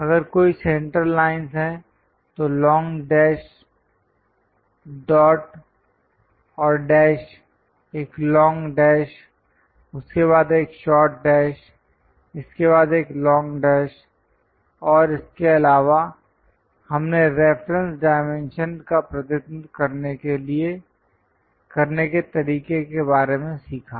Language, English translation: Hindi, If there are any center lines with, long dash, dot and dash, a long dash, followed by short dash, followed by long dash and also, we learned about how to represents reference dimension